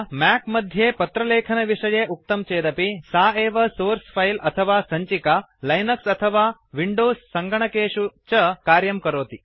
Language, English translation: Sanskrit, Although I talked about the letter writing process in a Mac, the same source file will work in all Latex systems including those in Linux and Windows operation systems